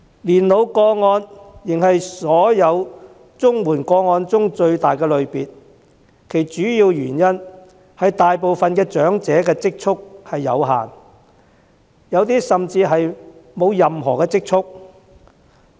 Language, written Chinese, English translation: Cantonese, 年老個案仍是所有綜援個案中最大的類別，主要原因是大部分長者的積蓄有限，有些甚至沒有任何積蓄。, Old age cases remain the largest type among all CSSA cases primarily because most elderly persons have limited savings while some even have no savings at all